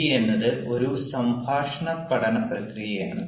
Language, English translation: Malayalam, a gd is a dialogic learning process